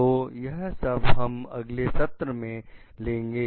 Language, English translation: Hindi, So, this we are going to take up in the next session